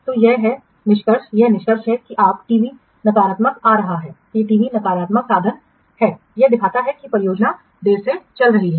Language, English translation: Hindi, This is the inference that your TV is coming negative and the TV is negative means it indicates that the project is running late